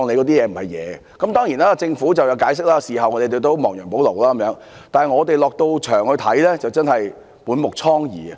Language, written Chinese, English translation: Cantonese, 當然，政府曾作出解釋，事後亦有亡羊補牢，但是，我們在現場所見，真是滿目瘡痍。, Certainly the Government has given an explanation and taken remedial measures afterwards . However what met our eyes was really a scene of desolation all around